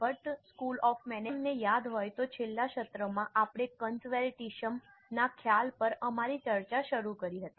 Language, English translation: Gujarati, If you remember in the last session we had started our discussion on the concept of conservatism